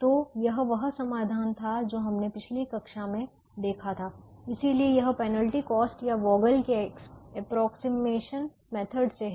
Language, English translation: Hindi, this is the solution that is given by the penalty cost method or the vogel's approximation method